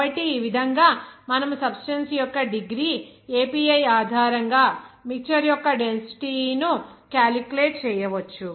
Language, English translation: Telugu, So, in this way, you can calculate the density of the mixture based on degree API of the substances